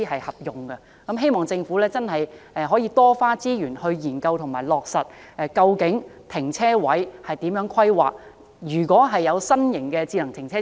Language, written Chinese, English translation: Cantonese, 希望政府多花資源，研究落實如何規劃停車位，如何定位新型的智能停車場。, It is hoped that the Government will spend more resources to study how to carry out the planning of parking spaces and set the position of automated car parks